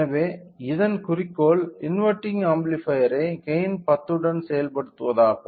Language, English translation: Tamil, So, the goal of this is implementation of amplifier with a gain 10